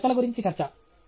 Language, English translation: Telugu, This is a talk about talks